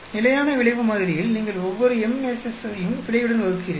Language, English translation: Tamil, In the fixed effect model, you divide every MSS with the error